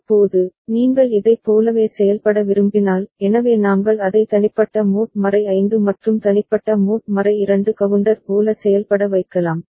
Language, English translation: Tamil, Now, when you want to make it work like a so we can make it work like individual mod 5 and individual mod 2 counter